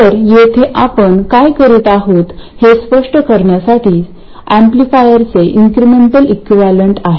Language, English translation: Marathi, So, just to be clear about what we are doing here, this is the incremental equivalent of the amplifier